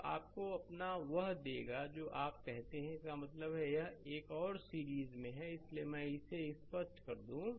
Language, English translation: Hindi, So, that will give you your what you call that means, this one and this one are in series; so, let me clear it